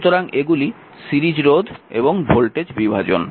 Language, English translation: Bengali, So, series resistors and your voltage division